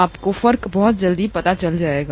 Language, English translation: Hindi, You will know the difference very soon